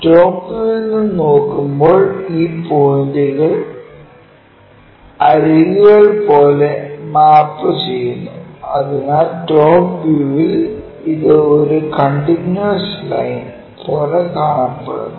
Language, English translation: Malayalam, When we are looking from top view these points maps to lines like edges and we will see that and this line entirely from the top view again a continuous line